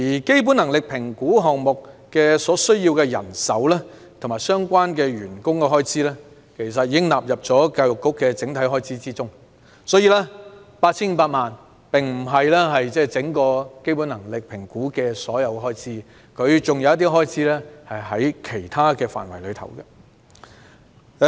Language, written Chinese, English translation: Cantonese, 基本能力評估項目所需人手和相關開支，其實已納入教育局的整體預算開支內，因此，這筆 8,500 萬元的預算開支並非基本能力評估項目的開支總額，有部分在這個項目下的開支被納入其他範疇。, Actually the manpower and the relevant expenditure required by the BCA project have been subsumed under the overall estimated expenditure of the Education Bureau . With part of the expenditure on the BCA project being included in other areas this estimate of 85 million does not represent the total expenditure on this project . The contract between the Education Bureau and HKEAA for the provision of services relating to the BCA already expired in 2018